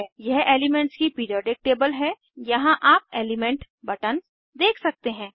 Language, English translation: Hindi, This is a Periodic table of elements, here you can see element buttons